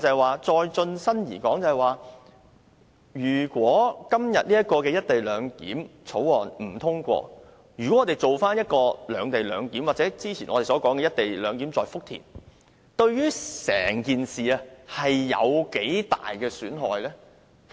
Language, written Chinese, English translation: Cantonese, 我剛才也提到，如果今天這項《條例草案》不獲通過，我們進行"兩地兩檢"安排，或者我們之前說的"一地兩檢"在福田，對於整件事有多大損害呢？, As I just mentioned if this co - location arrangement Bill is not endorsed and we implement the separate - location arrangement or the co - location arrangement in Futian that we proposed earlier how much damage will be done to the whole case?